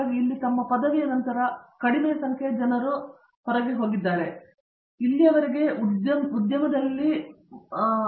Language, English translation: Kannada, So, we have had a like you know smaller number of people going out after their graduation here, but so far the emphasis has been predominantly into the industry